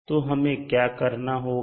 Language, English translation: Hindi, So what we will do